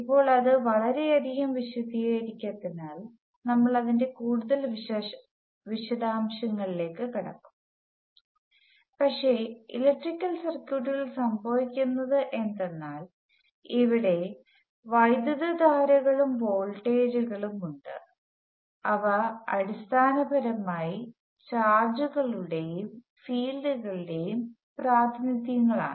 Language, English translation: Malayalam, Now of course, that does not explain too much we will get into more details of that, but what happens in electrical circuits is that there are currents and voltages which are basically some other representations of charges and fields